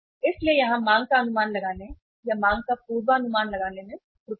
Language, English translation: Hindi, So here is the error in estimating the demand or forecasting the demand